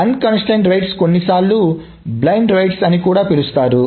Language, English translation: Telugu, Unconstrained rights are also sometimes called blind rights